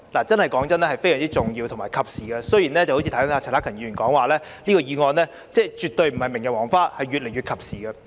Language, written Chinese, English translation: Cantonese, 坦白說，這是非常重要和及時的，正如剛才陳克勤議員說，這項議案絕對不是明日黃花，而是越來越及時。, Frankly speaking this is a very important and timely motion . Rightly as Mr CHAN Hak - kan has said just now this motion is definitely not obsolete but it has become even more timely